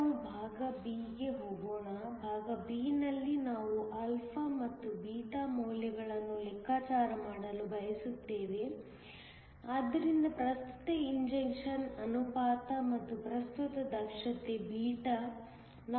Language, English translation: Kannada, Let us now go to part b; in part b, we want to calculate the values of alpha and beta so, the current injection ratio and also the current efficiency β